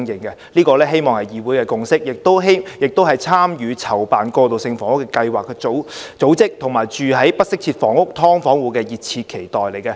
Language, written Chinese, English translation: Cantonese, 我希望這是議會的共識，亦是參與籌辦過渡性房屋計劃的組織，以及居住在不適切住房如"劏房戶"的熱切期待。, I hope this is the legislatures consensus something keenly anticipated by the organizations participating in the coordination of transitional housing schemes and also those living in inadequate housing conditions such as subdivided units